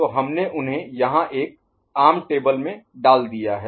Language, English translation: Hindi, So, we have put them in one common table ok